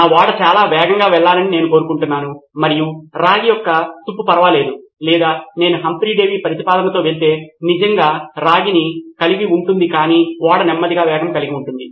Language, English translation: Telugu, Do I want my ship to go very fast and never mind the corrosion of copper or Do I go with Humphry Davy solution and have beautiful copper but a slow ship